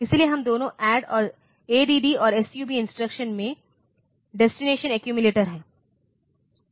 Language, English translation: Hindi, So, we both add and sub instruction the destination is the accumulator